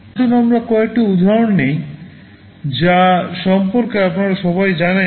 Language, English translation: Bengali, Let us take some examples that you all know about